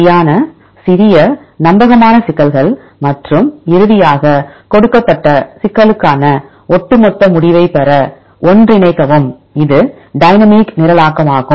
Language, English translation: Tamil, Right smaller reliable problems and then finally, combine to get the overall result for a given problem right this is dynamic programming